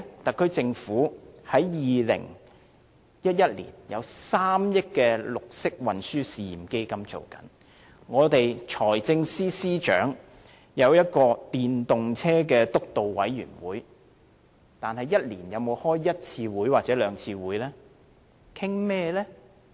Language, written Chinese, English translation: Cantonese, 特區政府在2011年設立了3億元的綠色運輸試驗基金，財政司司長轄下也設立了一個推動使用電動車輛督導委員會，但一年有否召開一兩次會議？, We cannot deny that the SAR Government has set up the 300 million Pilot Green Transport Fund PGTF in 2011 and the Steering Committee on the Promotion of Electric Vehicles has also been established under the chairmanship of the Financial Secretary but have one or two regular meetings been convened every year?